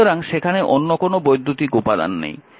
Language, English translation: Bengali, So, no other electrical element is there